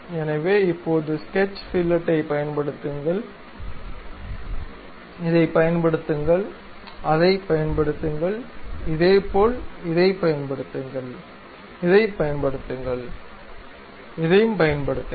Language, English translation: Tamil, So, now use sketch fillet, apply this, apply that; similarly apply that, apply this one, this one